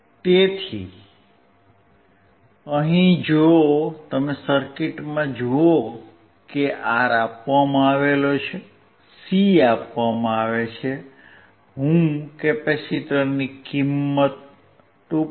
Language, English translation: Gujarati, So, here if you see the circuit R is given, C is given, I am using the value of capacitor equals 2